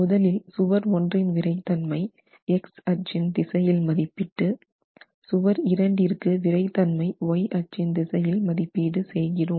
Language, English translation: Tamil, So, I take wall 1 and estimate the stiffness of wall 1 in the X direction, I will estimate stiffness of wall 2 in the Y direction and I have the in plain stiffnesses to work with